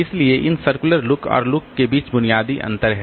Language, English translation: Hindi, So, these are the basic differences between this circular look and look